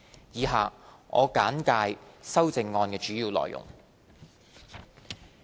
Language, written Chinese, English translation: Cantonese, 以下我簡介修正案主要的內容。, I will briefly explain the contents of the amendments